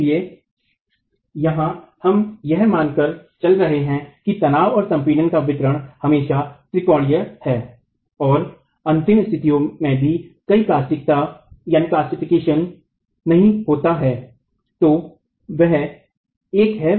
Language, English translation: Hindi, So, here we have been assuming that the distribution of stresses and compression is always triangular and there is no plastication even at ultimate conditions